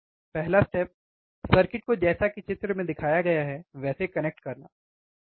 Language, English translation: Hindi, First step is connect the circuit as shown in figure